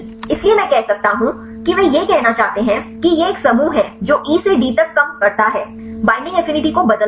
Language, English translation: Hindi, So, I can say the how they length I want to say it is a group a reducing one from E to D, change the binding affinity